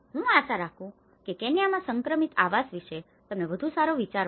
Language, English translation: Gujarati, I hope you got a better idea on transitional housing in Kenya